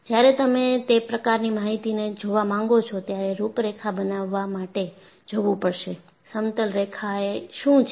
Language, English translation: Gujarati, And when you want to look at that kind of an information,I need do go for plotting a contour, and what is the contour